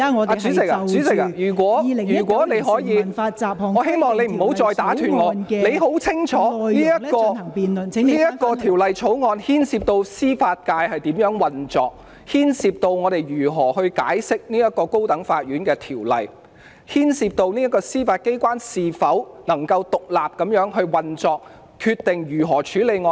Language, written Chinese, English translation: Cantonese, 代理主席，如果你可以，我希望你不要再打斷我的發言，你很清楚此項條例草案牽涉到司法界如何運作，牽涉到我們如何解釋《高等法院條例》，牽涉到司法機關能否獨立運作，決定如何處理案件。, Deputy President if it is alright with you I hope that you do not interrupt my speech again . You know very well that this Bill has a bearing on how the Judiciary operates how we interpret the High Court Ordinance and whether the Judiciary can operate independently in deciding how to handle cases